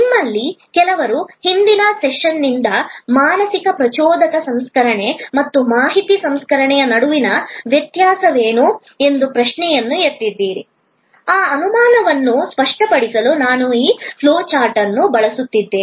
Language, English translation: Kannada, Some of you have sort of raised a question from a previous session that what is the difference between mental stimulus processing and information processing; I am using this flow chart to clarify that doubt as well